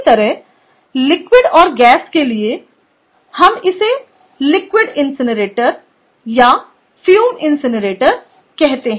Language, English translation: Hindi, similarly, for liquid and gas, we call it liquid incinerator and fume incinerator